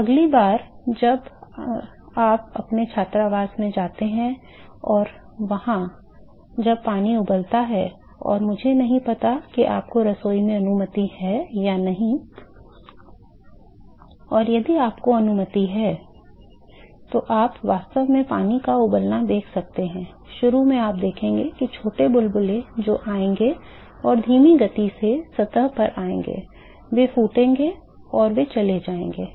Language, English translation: Hindi, So, next time when you go your hostel and when there is water boiling and I do not know if your permitted kitchen and let us say if your permitted, you can actually see the boiling of water, you will see that initially you will see the small bubbles which will come and slow they will come to the surface they will burst and they will go